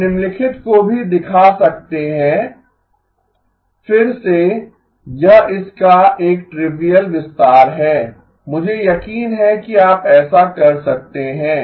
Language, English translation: Hindi, We can also show the following, again it is a trivial extension of it, I am sure you can do that